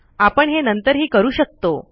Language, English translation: Marathi, So we can also do this later